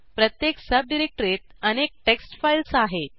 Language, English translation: Marathi, In each sub directory, there are multiple text files